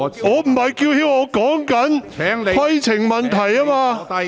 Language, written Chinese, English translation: Cantonese, 我不是叫喊，而是提出規程問題。, I am not shouting; I am raising a point of order